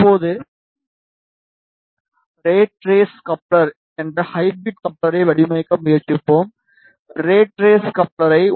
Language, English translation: Tamil, Now, we will try to design hybrid coupler that is rat race coupler we will try to design the rat race coupler at 1